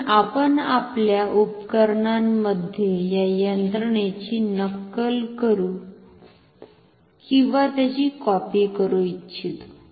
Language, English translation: Marathi, So, therefore, we want to mimic or copy this mechanism in our instruments